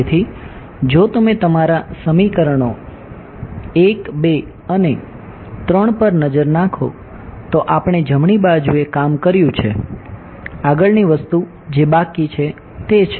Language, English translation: Gujarati, So, if you look at your equations 1, 2 and 3 we have dealt with the right hand sides right, the next thing that is left is